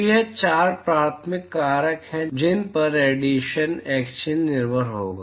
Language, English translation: Hindi, So, these are the four primary factors on which the radiation exchange would depend on